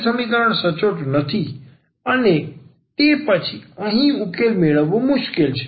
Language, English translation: Gujarati, So, the given equation is not exact and then it is difficult to find the solution here